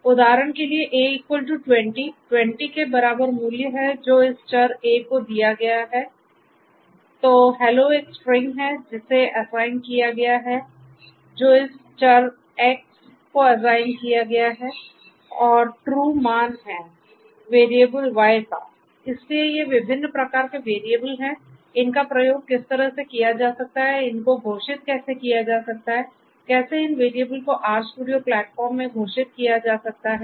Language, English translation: Hindi, So, for example, A equal to 20, 20 is the value that is assigned to this variable A, then hello is a string which is assigned this to the value of this is a value that is assigned to this variable X and true is a value that is assigned to this variable Y so these are the different types of variables and how they can be used in the or they can be declared how these variables can be declared in the RStudio platform